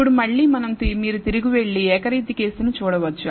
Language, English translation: Telugu, Now, again you can go back and look at the univariate case